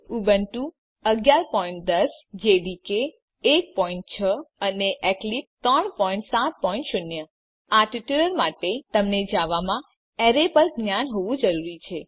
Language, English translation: Gujarati, For this tutorial we are using Ubuntu 11.10, JDK 1.6 and Eclipse 3.7.0 For this tutorial, you should have knowledge on arrays in Java